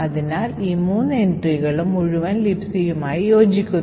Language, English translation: Malayalam, So, these three entries correspond to the entire LibC